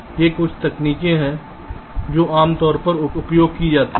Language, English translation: Hindi, ok, so these are some of the techniques which are usually used